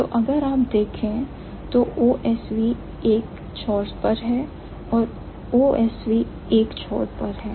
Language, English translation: Hindi, So, if you look at the arrow, OSV is at one end, OVS is at the one end